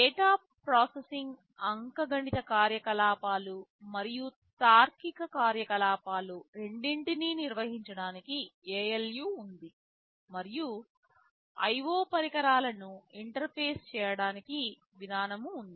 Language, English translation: Telugu, There is an ALU where all the data processing are carried out, both arithmetic operations and also logical operations, and there is some mechanism for interfacing memorial IO devices